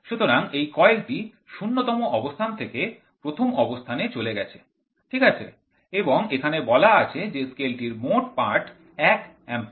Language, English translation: Bengali, So, this coil swings from 0th position to the 1th position, right and here they have said what is the each scale one the total reading is 1 Amperes